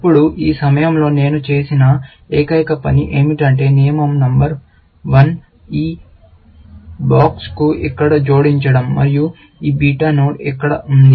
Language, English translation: Telugu, Now, you can observe that the only thing I did at this moment, for the rule number one was to add this box here, and this beta node here